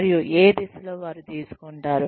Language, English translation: Telugu, And, what direction, they will be taking